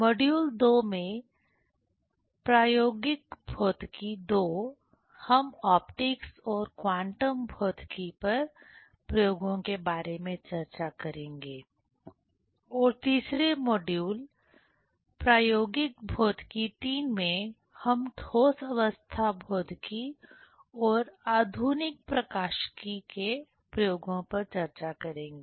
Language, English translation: Hindi, In module 2, the experimental physics II, we will discuss about the experiments on optics and quantum physics and in 3rd module, the experimental physics III, we will discuss experiments on solid state physics and modern optics